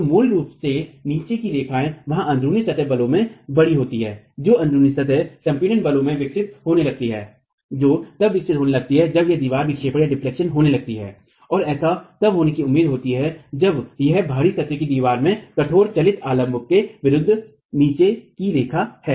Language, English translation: Hindi, So, basically, bottom line is there are large in plane forces that start developing, in plane compression forces that start developing when this wall starts deflecting and this is expected to happen when this out of plane wall is butted against rigid, non supports